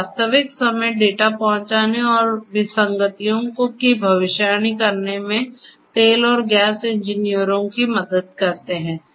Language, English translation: Hindi, So, they help the oil and gas engineers to access real time data and predict anomalies